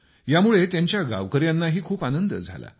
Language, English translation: Marathi, This brought great happiness to his fellow villagers too